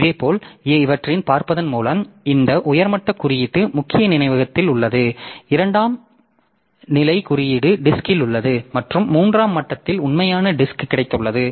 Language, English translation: Tamil, So, so this by looking into this, so this top level index is in the main memory, second level index is in the disk and at the third level we have got the actual disk